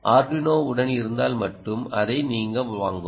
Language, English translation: Tamil, if you have the arduino, ok to with you